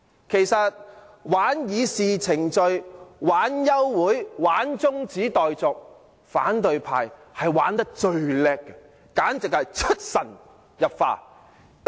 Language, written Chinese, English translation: Cantonese, 其實，玩弄議事程序、玩弄休會、中止待續等手段，反對派非常出色，簡直是出神入化。, Opposition Members are very good actually superbly good at manipulating the procedures of the Legislative Council and moving motions of adjournment of debate or of proceedings etc